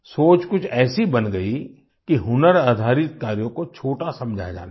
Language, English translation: Hindi, The thinking became such that skill based tasks were considered inferior